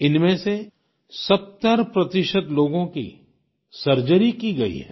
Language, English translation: Hindi, Of these, 70 percent people have had surgical intervention